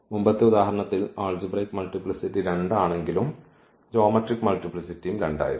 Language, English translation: Malayalam, In the previous example though the algebraic multiplicity was 2 and the geometric multiplicity was also 2